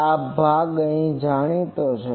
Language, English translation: Gujarati, This part is known